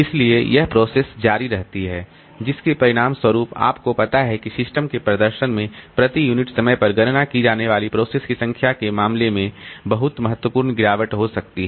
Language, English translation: Hindi, So as a result, very significant degradation may occur in the system performance in terms of number of processes completed per unit time